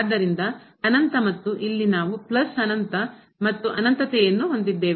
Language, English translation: Kannada, So, infinity and here also we have plus infinity plus infinity